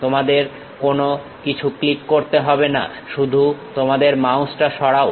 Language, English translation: Bengali, You should not click anything just move your mouse